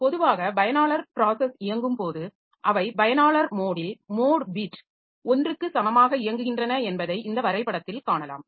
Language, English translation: Tamil, So, in this diagram, so you can see that normally when the user processes are executing, so they are executing with in user mode with the mode beat equal to 1